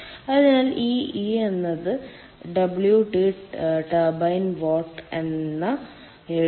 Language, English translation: Malayalam, so e can be written as wt, turbine watt divided by ah, this one